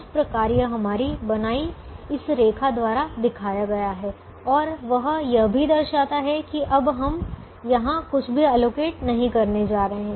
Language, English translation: Hindi, so that is shown by this line that we have drawn, which also shows now that we are not going to allocate anything here